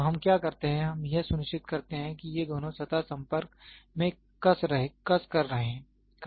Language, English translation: Hindi, So, what we do is we make sure that these two surfaces are tightly in contact